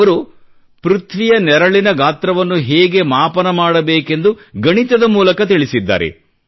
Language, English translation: Kannada, Mathematically, he has described how to calculate the size of the shadow of the earth